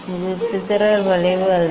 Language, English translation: Tamil, this is not dispersive curve